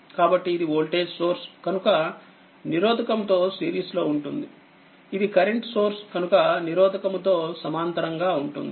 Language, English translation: Telugu, So, because it is voltage source is in series resistance, there it will be current source in parallel with the resistance